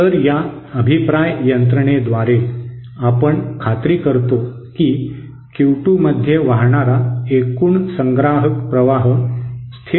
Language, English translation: Marathi, So by this feedback mechanism we have we ensure that the total collector current flowing into Q 2 is constant Thank you